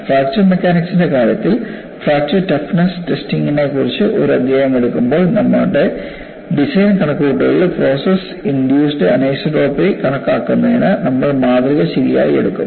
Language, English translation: Malayalam, Whereas, in the case of fracture mechanics, when we take up a chapter on fracture toughness testing, we would take out the specimen appropriately to account for process induced anisotropy in our design calculations